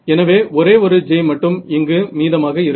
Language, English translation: Tamil, So, the one j term is going to remain over here right